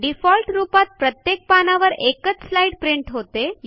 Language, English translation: Marathi, By default, it prints 1 slide per page